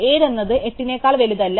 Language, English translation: Malayalam, 7 is not bigger than 8, 7 is smaller than 8